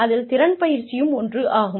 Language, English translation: Tamil, Skills training is one